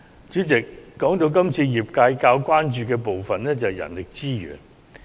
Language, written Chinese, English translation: Cantonese, 主席，說到今次工商界較為關注的部分，當然是人力資源。, President the part of manpower resources this year is of great concern to the industrial and business sectors